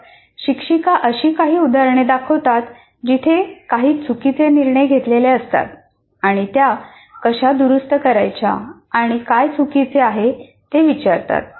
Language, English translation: Marathi, And then the teacher shows some examples where certain wrong decisions are made and asks what is wrong and how to fix them